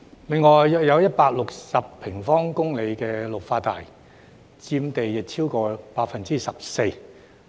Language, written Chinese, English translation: Cantonese, 另有約160平方公里綠化帶，佔地超過 14%。, Besides there are approximately 160 sq km of Green Belt zones accounting for over 14 % of the land area